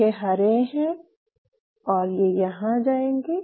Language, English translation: Hindi, These are greens the green should be here